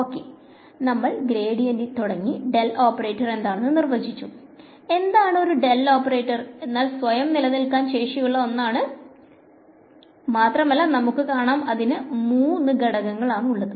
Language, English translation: Malayalam, So, we started with the gradient, we defined a del operator, the del operator is something that stands by itself you can see it has three components